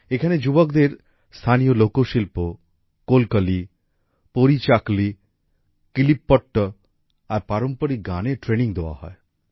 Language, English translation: Bengali, Here the youth are trained in the local art Kolkali, Parichakli, Kilipaat and traditional songs